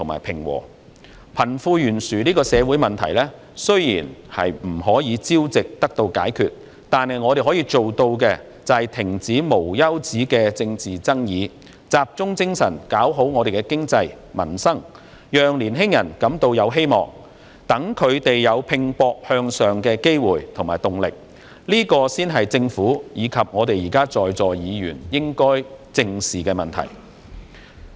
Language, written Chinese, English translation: Cantonese, 貧富懸殊這個社會問題，雖然不是一朝一夕可以解決，但我們可以做到的是，停止無休止的政治爭議，集中精神發展經濟，改善民生，讓年青人感到有希望，讓他們有拼搏向上的機會和動力，這才是政府及在座議員應該正視的問題。, Although the social problem of wealth gap cannot be resolved overnight what we can do is to stop the endless political disputes and focus our efforts on developing the economy and improving peoples livelihood thereby giving hope to the young people providing them with opportunities and motivating them to strive to move upward . This is precisely the problem which the Government and Members present should squarely address